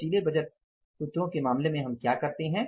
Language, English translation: Hindi, What we do in case of the flexible budget formulas